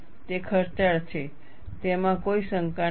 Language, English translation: Gujarati, It is expensive, no doubt